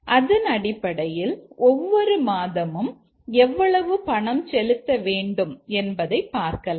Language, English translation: Tamil, And based on that it will let's say give us how much to be paid every month